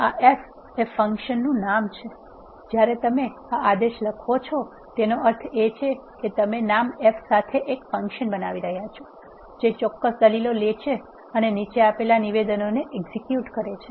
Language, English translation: Gujarati, This f is the function name when you write this command this means that you are creating a function with name f which takes certain arguments and executes the following statements